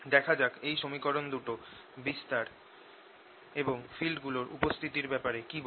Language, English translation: Bengali, let us see what equations tell us about these amplitudes and the fields, if they exist, like this